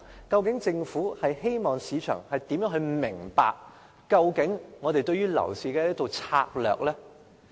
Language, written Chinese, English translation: Cantonese, 究竟政府希望市場如何理解當局對樓市的策略？, How does the Government want the market to understand its strategy for the property market?